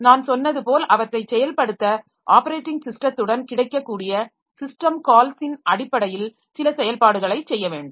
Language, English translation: Tamil, And for implementing them, as I said, that it requires some operation to be done in terms of system calls available with the operating system